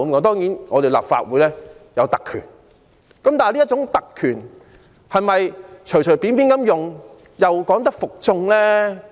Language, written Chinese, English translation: Cantonese, 當然，立法會有其特權，但這種特權能否隨便使用，又能否服眾呢？, Certainly the Legislative Council has its privileges but can it use such privileges casually with the public being convinced?